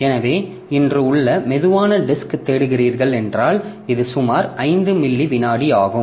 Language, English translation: Tamil, If you look for slow disk that we have today, so this is 9 millisecond of sick time and 5